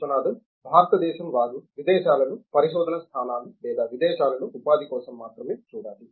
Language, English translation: Telugu, India, they have to only look for the research positions abroad or employment abroad